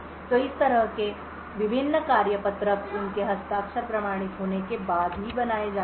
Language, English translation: Hindi, So in this way various tasklet are created only after their signatures are authenticated